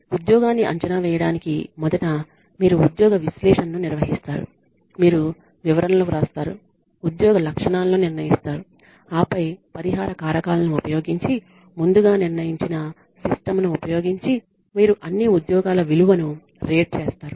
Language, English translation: Telugu, You first conduct the job analysis in order to evaluate a job you analyze the job, you write the descriptions, you determine the job specifications then you rate the worth of all jobs using a predetermined system using compensable factors